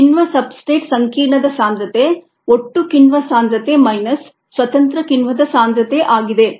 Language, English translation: Kannada, the concentration of the enzyme substrate complex is total concentration of the enzyme minus the concentration of the free enzyme